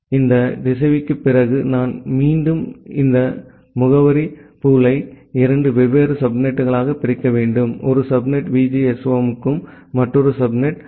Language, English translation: Tamil, So, after this router, I have to again divide this address pool into two different subnet; one subnet is for VGSOM, another subnet is for EE